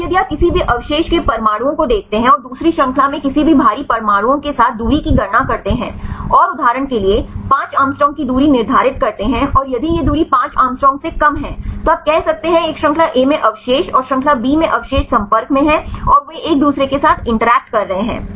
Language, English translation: Hindi, Now, if you see the atoms of any residue and calculate the distance with any of the heavy atoms in the second chain, and set the distance of for example, 5 angstrom and if this distance is less than 5 angstrom, then you can say the residues in a chain A and the residue in chain B are in contact and they are interacting with each other